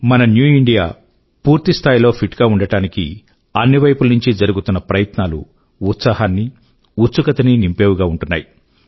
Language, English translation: Telugu, Efforts to ensure that our New India remains fit that are evident at every level fills us with fervour & enthusiasm